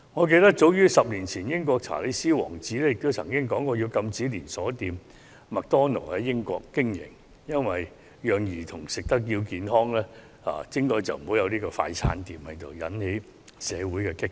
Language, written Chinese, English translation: Cantonese, 記得早在10年前，英國的查理斯王子曾提出禁止連鎖快餐店麥當勞在英國經營，好讓兒童吃得健康一點，杜絕快餐店，結果引來社會的一番激辯。, I remember that 10 years ago Prince Charles of the United Kingdom suggested a ban on McDonalds the fast food chain in the United Kingdom so that children could eat healthier food . This suggestion of a total ban on fast food restaurants subsequently triggered a heated debate in the community